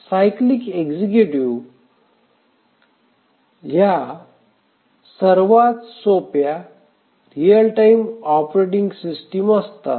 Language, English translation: Marathi, The cyclic executives are the simplest real time operating systems